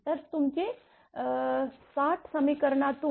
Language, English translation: Marathi, So, from equation your 60